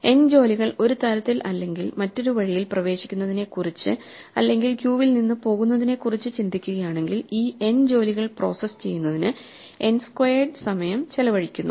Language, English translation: Malayalam, If we think of n jobs entering and leaving the queue one way or another we end up spending n squared time processing these n jobs